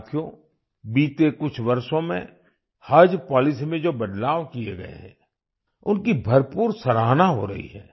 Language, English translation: Hindi, Friends, the changes that have been made in the Haj Policy in the last few years are being highly appreciated